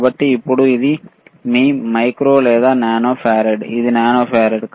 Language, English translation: Telugu, So now, it is here which is your micro or nano farad, it is nano farad